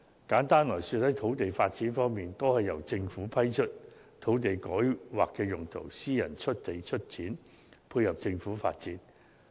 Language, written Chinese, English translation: Cantonese, 簡單而言，在土地發展方面，大多數是由政府批出土地改劃用途，由私人出地出錢，配合政府發展。, Simply put land is mostly developed upon approval by the Government by rezoning private land in line with the development of the Government using private funding